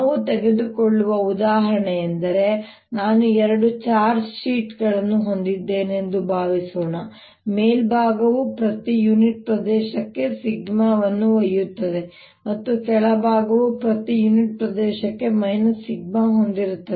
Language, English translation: Kannada, so let us solve that example example i take: is suppose i have two sheets of charge, the upper one carrying sigma per unit area and the lower one carrying minus sigma per unit area, so that there is an electric field that exist between this two